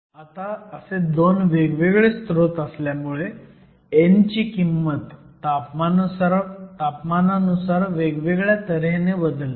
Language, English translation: Marathi, So, we have a different behavior for how the value of n changes with temperature